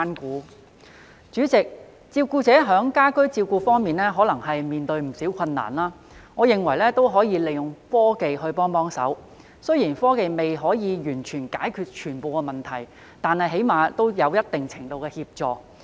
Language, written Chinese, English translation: Cantonese, 代理主席，照顧者在家居照顧方面可能面對不少困難，我認為可以利用科技幫忙，雖然科技未能完全解決所有問題，但最少也可提供一定程度的協助。, Deputy President carers may face quite a lot of difficulties in providing home care . In my view they may turn to technology for help . Although technology may not be able to solve all the problems it can at least provide some degree of assistance